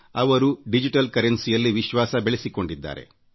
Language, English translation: Kannada, It has begun adopting digital currency